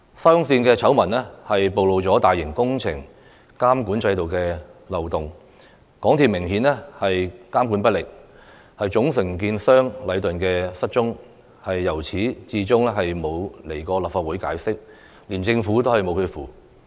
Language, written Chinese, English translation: Cantonese, 沙中線醜聞曝露了大型工程監管制度的漏洞，港鐵公司明顯監管不力，總承建商禮頓建築有限公司"失蹤"，至今也沒有前來立法會解釋，連政府也拿它沒辦法。, The SCL scandal has exposed loopholes in the monitoring system of large - scale projects . The monitoring efforts of MTRCL were obviously ineffective . The main contractor Leighton Contractors Asia Limited has gone missing and has yet come before the Legislative Council to make an explanation